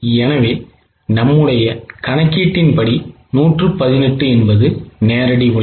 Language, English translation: Tamil, So, 118 was the original direct labor from our original calculation